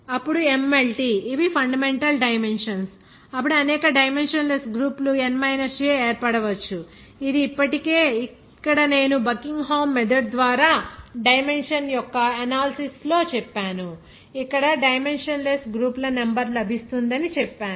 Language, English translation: Telugu, Then MLT these are the fundamental dimensions then a number of dimensionless groups can be formed n – j that already “I told here during the analysis of dimension by Buckingham method here also saying the number of dimensionless groups will get